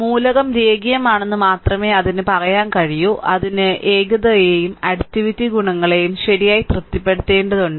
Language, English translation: Malayalam, Then only you can say that element is linear it has to satisfy both homogeneity and additivity properties right